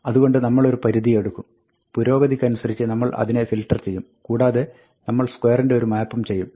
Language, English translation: Malayalam, So, we had said, we will take a range, and we will filter it progressively, and then, we would do a map of square